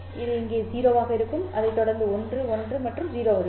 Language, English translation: Tamil, It would be 0 here followed by a 1, 1 and a 0